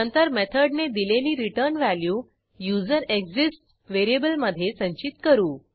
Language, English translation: Marathi, We then store the returned value of the method in userExists variable